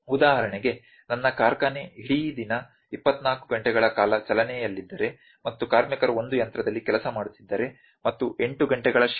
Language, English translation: Kannada, For instance, if my factory is running for the whole day around for 24 hours and the workers were working on one machine and 8 hour shift is there